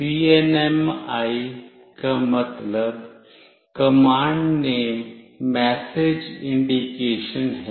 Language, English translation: Hindi, CNMI stand for Command Name Message Indication